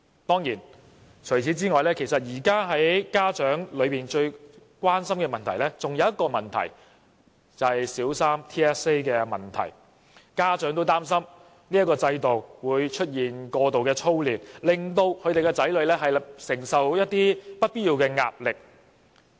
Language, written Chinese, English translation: Cantonese, 當然，除此之外，現在家長最關心的還有另一個問題，就是小三的 TSA， 家長擔心這個制度會造成過度操練，令他們的子女承受不必要的壓力。, These issues aside parents are of course most concerned about the Primary Three Territory - wide System Assessment TSA because their children would be subject to pressures unnecessarily as a result of over - drilling induced by TSA